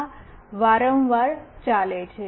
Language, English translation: Gujarati, This goes on repeatedly